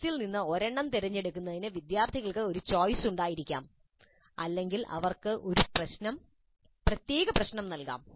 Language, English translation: Malayalam, Students may have a choice in selecting one from the list or they may be assigned a specific problem